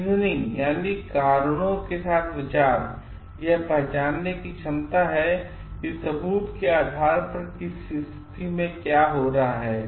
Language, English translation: Hindi, Reasoning is the ability to recognise what is happening in a situation on the basis of evidence